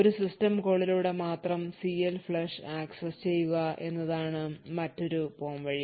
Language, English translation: Malayalam, Another alternative is to make CLFLUSH accessible only through a system call